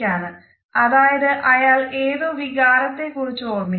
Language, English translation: Malayalam, If the gaze is down towards a right hand side the person might be recalling a feeling